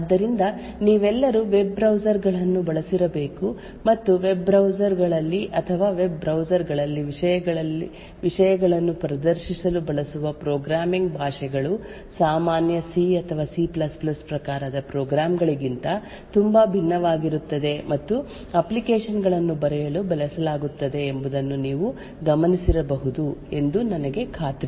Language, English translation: Kannada, So all of you I am sure must have used a web browsers and what you would have noticed that programming languages used in web browsers or to actually display contents in web browsers are very much different from the regular C or C++ type of programs that are typically used to write applications